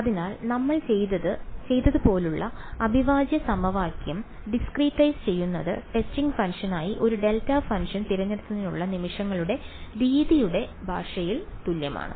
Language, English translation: Malayalam, So, discretizing the integral equation like what we did is equivalent in the language of method of moments to choose a delta function as the testing function